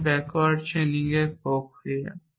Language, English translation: Bengali, This is the process of backward chaining